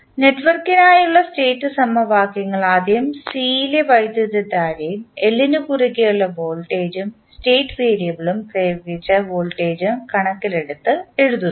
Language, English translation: Malayalam, Now, the state equations for the network are written by first equating the current in C and voltage across L in terms of state variable and the applied voltage